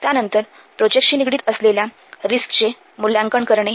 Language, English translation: Marathi, Then we have to assess the risks involved with the projects